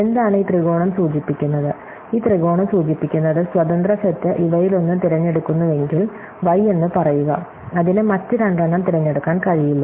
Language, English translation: Malayalam, So, what is this triangle signify, this triangle signifies that if may independent set picks one of these things, say y, then it cannot pick the other two